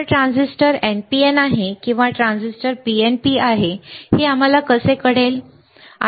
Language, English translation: Marathi, So, whether the transistor is NPN or whether the transistor is PNP, how we can know